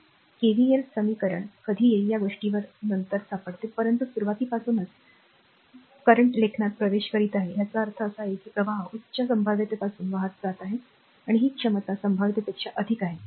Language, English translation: Marathi, Later you will find this things will be easier when we will come to the KVL equation, but write from the beginning current is entering into the ; that means, current is flowing from your higher potential this thing higher potential to lower potential, right